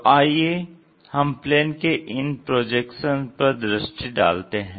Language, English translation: Hindi, Let us look at what are these projections of planes